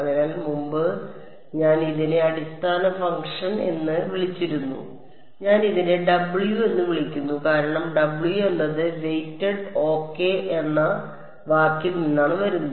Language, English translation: Malayalam, So, earlier I had call this as the basis function b m I am just calling it W because W is coming from the word weighted ok